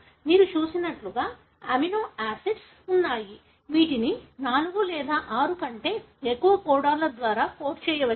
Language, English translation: Telugu, As you have seen, there are amino acids which can be coded by more than 4 or about 6 different codons